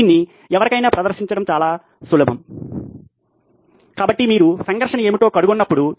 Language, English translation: Telugu, It is easier to demonstrate it to anybody, so whenever you are figuring out what is the conflict